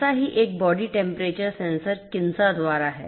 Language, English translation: Hindi, One such body temperature sensor is by Kinsa